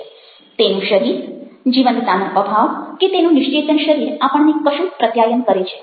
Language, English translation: Gujarati, so his body or his lack of life and the static body does manage to communicate something to us